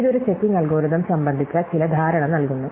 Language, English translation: Malayalam, So, this gives us some notion of a checking algorithm